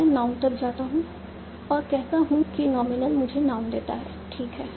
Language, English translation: Hindi, Then I go up to noun and say nominal gives me noun, fine